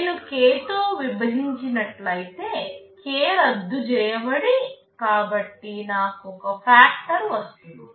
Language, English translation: Telugu, If I divided by that, k, k can cancels out, so I get a factor